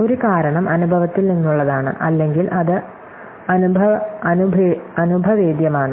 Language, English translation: Malayalam, Well, one of the reasons is just from experience or it is empirical